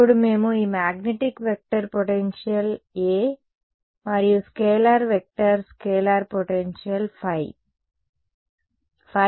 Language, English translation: Telugu, Now, we when we had derived the integral equations in terms of this magnetic vector potential A and scalar vector scalar potential phi